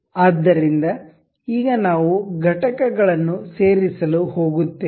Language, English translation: Kannada, So, now, we will go to insert components